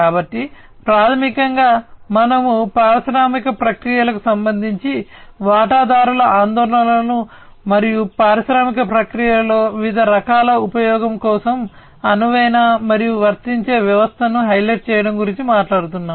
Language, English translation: Telugu, So, basically we are talking about highlighting the stakeholders concerns regarding the industrial processes, and flexible and applicable system for use of various types in the industrial processes